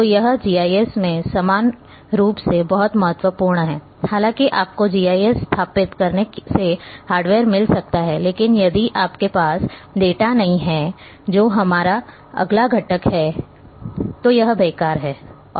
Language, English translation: Hindi, So, this is this is very important the similarly in GIS though you may get hardware you may install a GIS software, but if you don’t have the data which is our next component then it is useless